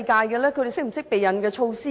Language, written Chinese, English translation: Cantonese, 他們是否懂得避孕的措施？, Did they have knowledge of contraception?